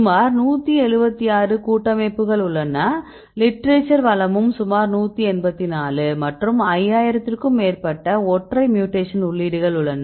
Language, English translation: Tamil, So, now I give the statistics currently we have 176 complexes and the literature resource is about 184 and there are more than 5000 single mutation entries